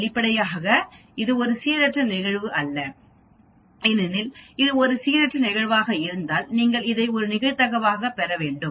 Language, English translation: Tamil, Obviously, it is not a random event because if it is a random event you should get this as a probability but actually you are observing 5